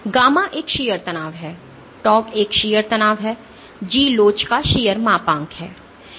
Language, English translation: Hindi, So, gamma is a shear strain, tau is a shear stress, G is the shear modulus of elasticity